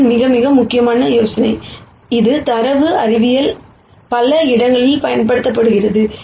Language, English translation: Tamil, This is a very, very important idea, and this will be used in many many places in data science